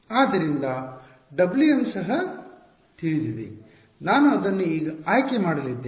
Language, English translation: Kannada, So, therefore, W m is also known I am going to choose it